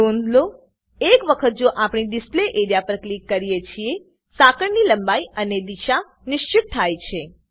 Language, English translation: Gujarati, Note once we click on the Display area, the chain length and orientation of the chain are fixed